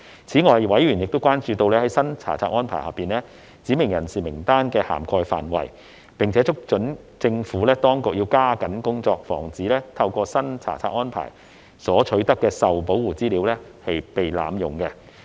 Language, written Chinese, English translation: Cantonese, 此外，委員亦關注在新查冊安排下，"指明人士"名單的涵蓋範圍，並促請政府當局加緊工作，防止透過新查冊安排所取得的受保護資料被濫用。, Moreover members were also concerned about the scope of the list of specified persons under the new inspection regime and called on the Administration to step up its efforts to prevent the misuse of Protected Information obtained under the new inspection regime